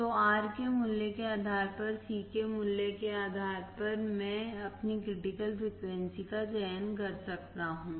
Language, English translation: Hindi, So, depending on the value of R, depending on the value of C, I can select my critical frequency